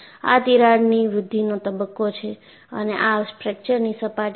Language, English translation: Gujarati, This is the crack growth phase and this is the fracture surface